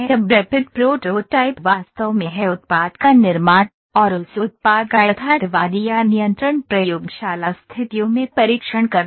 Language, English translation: Hindi, Now rapid proto typing is actually manufacturing the product, actually manufacturing the product and testing that product in the realistic or the control laboratory conditions